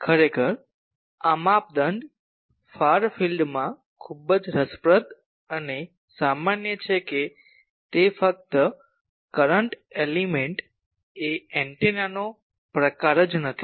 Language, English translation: Gujarati, Actually this criteria far field is very interesting and general it is not only for a current element type of simple antenna